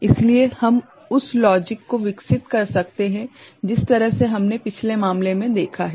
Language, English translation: Hindi, So, we can develop the logic for that the way we have seen the relationship in the previous case